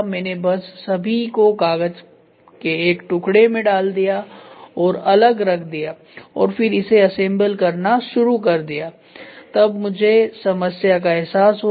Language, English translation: Hindi, I just removed all put it in a piece of paper and kept aside and then started assembling it then I realise the problem